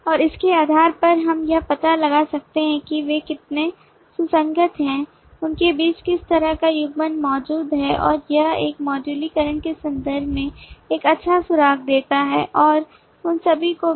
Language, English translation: Hindi, and based on that we can find out how coherent they are, what kind of coupling between them exist and that give a good clue in terms of modularization and all those as well